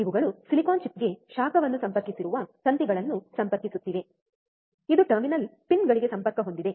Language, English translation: Kannada, these are connecting wires that are connected heat to the silicon chip, which is connected to the terminal pins